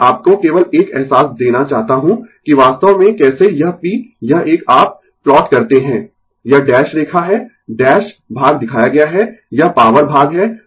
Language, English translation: Hindi, I just to give you a feeling that how actually this p this one you plot, this is the dash line, the dash portion shown, it is the power part right